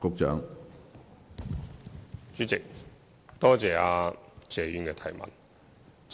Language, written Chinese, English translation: Cantonese, 主席，多謝謝議員的質詢。, President I thank the Honourable Member for his question